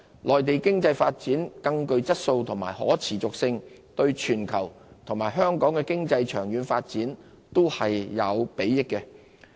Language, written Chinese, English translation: Cantonese, 內地經濟發展更具質素及更可持續，對全球及香港經濟的長遠發展均有裨益。, An economic development of higher quality and sustainability on the Mainland will be beneficial to the Hong Kong and global economies in their long - term development